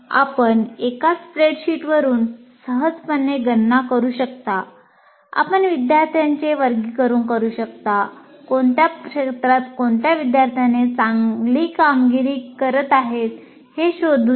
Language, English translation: Marathi, If you put in a spreadsheet and you can easily compute all aspects of all kinds of things, you can classify students, you can find out which student is performing in what area well and so on